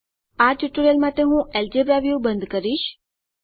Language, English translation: Gujarati, For this tutorial I will close the Algebra view